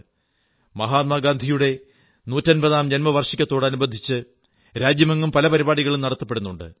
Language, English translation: Malayalam, Many programs are being organized across the country in celebration of the 150th birth anniversary of Mahatma Gandhi